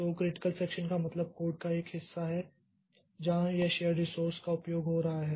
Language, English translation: Hindi, So, critical section means a portion of the code where it is accessing the shared resource